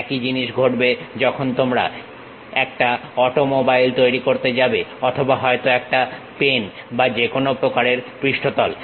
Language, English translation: Bengali, Same thing happens when you are going to create an automobile or perhaps a pen or any kind of surface